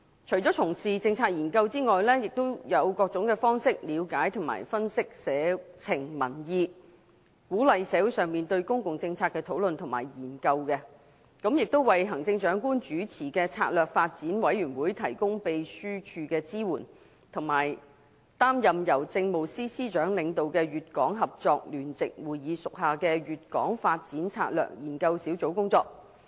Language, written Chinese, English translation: Cantonese, 除從事政策研究外，也以各種方式了解及分析社情民意，鼓勵社會上對公共政策的討論和研究，為行政長官主持的策略發展委員會提供秘書處支援，以及擔任由政務司司長領導的粵港合作聯席會議屬下的粵港發展策略研究小組工作。, Apart from conducting policy research it also uses various means to understand and analyse community concerns and public opinion encourages community discussion and research in public policy provides secretariat support for the Commission on Strategic Development chaired by the Chief Executive and undertakes work for the Hong Kong Guangdong Strategic Development Research Group under the Hong KongGuangdong Co - operation Joint Conference led by the Chief Secretary for Administration